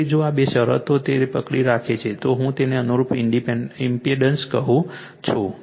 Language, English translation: Gujarati, So, if if this this two conditions hold therefore, the corresponding impedance I told you